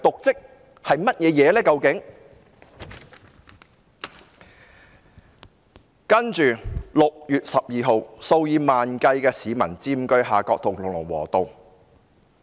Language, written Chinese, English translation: Cantonese, 接着 ，6 月12日，數以萬計市民佔據夏愨道和龍和道。, Thereafter on 12 June tens of thousands of people occupied Harcourt Road and Lung Wo Road